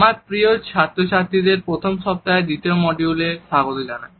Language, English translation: Bengali, Welcome dear participants to the second module of the first week